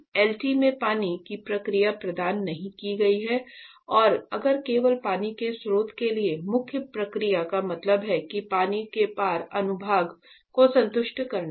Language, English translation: Hindi, See in LT did not provide water process for that for if and if only the main process means for that water source is there water cross section there that has to satisfy